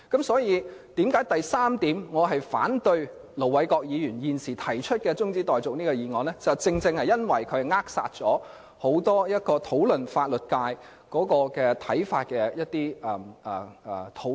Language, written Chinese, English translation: Cantonese, 所以，我反對盧偉國議員提出的中止待續議案的第三項原因是，這會扼殺關乎對法律界的看法的討論。, The third reason why I oppose the adjournment motion moved by Ir Dr LO Wai - kwok is that this will deprive Members of the opportunity to discuss their views of the legal profession